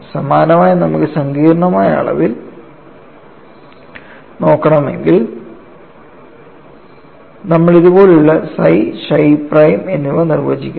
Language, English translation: Malayalam, For the same thing, if you want to look at in complex quantities, you define psi and chi prime like this